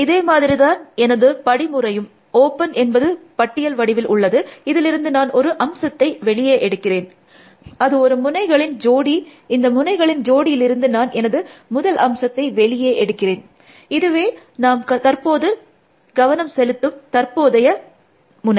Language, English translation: Tamil, So, my algorithm is still very similar, open is a list, I extract some element, from the list, which is a node pair, from the node pair I extract the first element, which is the current node I am interested